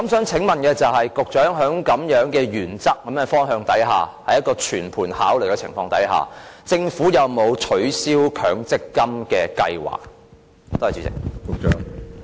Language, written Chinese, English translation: Cantonese, 請問局長在這樣的原則和方向下，在一個全盤考慮的情況下，政府有沒有取消強積金的計劃？, Given such a principle and direction and the comprehensive consideration given to this matter may I ask the Secretary whether or not the Government has any plan to abolish the MPF Scheme?